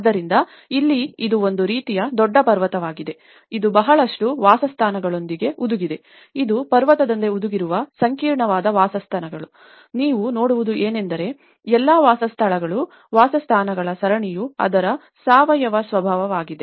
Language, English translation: Kannada, So, here itís a kind of big mountain which is embedded with a lot of dwellings which is intricate dwellings which are embedded like a mountain, what you can see is that all the dwellings, series of dwellings which are very organic nature of it